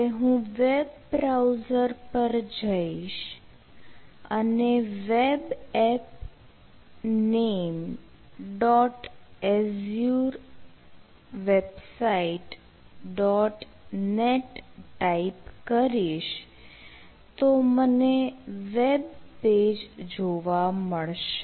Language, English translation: Gujarati, right, so now, if i go to the web browser and type the web app name, followed by the dot azure websites, dot net, i will be able to view the webpage